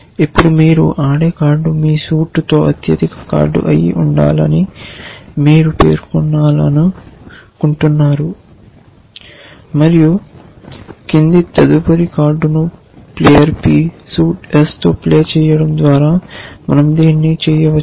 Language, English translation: Telugu, Now, you want to specify that the card that you play must be the highest card with your suit and we can do that by saying the following next card, player p, suite s